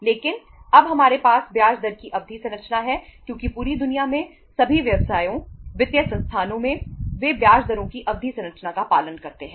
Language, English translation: Hindi, But now we have the term structure of interest rate because in the entire world all the businesses, financial institutions they follow the term structure of interest rates